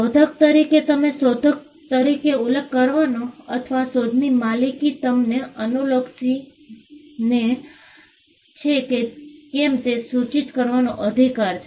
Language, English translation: Gujarati, As an inventor, you have a right to be denoted; you have a right to be mentioned as an inventor, regardless of whether you own the invention